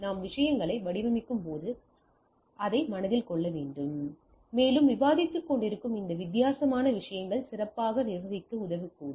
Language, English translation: Tamil, So, those things has to be kept in mind when we design the things and this different type of things we are what we are discussing may help in able to do a better management of the things